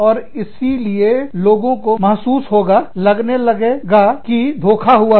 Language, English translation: Hindi, And, so people feel, seem to feel, cheated